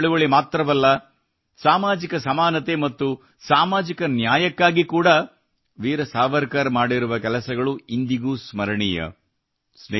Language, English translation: Kannada, Not only the freedom movement, whatever Veer Savarkar did for social equality and social justice is remembered even today